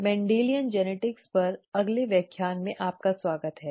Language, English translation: Hindi, Welcome to the next lecture on Mendelian genetics